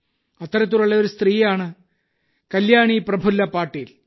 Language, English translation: Malayalam, One such lady, Kalyani Prafulla Patil ji is on the phone line with me